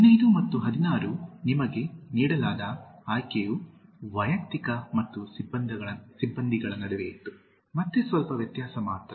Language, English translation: Kannada, 15 and 16 the choice given to you was between personal and personnel, again slight difference only